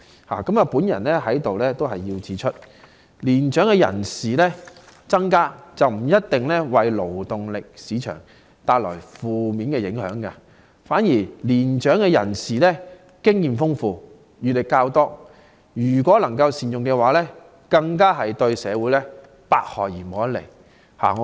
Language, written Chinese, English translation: Cantonese, 我想指出，年長人口增加不一定為勞動力市場帶來負面影響，反之年長人士經驗豐富、閱歷較多，如能善用，對社會更是百利而無一害。, Let me point out that an increase in the elderly population does not necessarily bring about negative effects . On the contrary since elderly persons are more experienced and knowledgeable; if their manpower is put to good use it will do all good and no harm to society